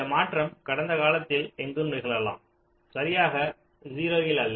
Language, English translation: Tamil, this transition can happen anywhere in the past, not exactly at zero